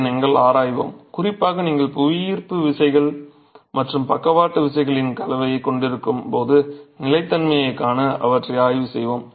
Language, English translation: Tamil, That is something we will examine and we will examine them particularly to see the stability when you have a combination of gravity forces and lateral forces